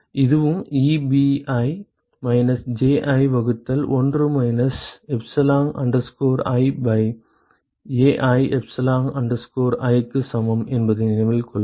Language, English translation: Tamil, Note that this is also equal to Ebi minus Ji divided by 1 minus epsilon i by Ai epsilon i ok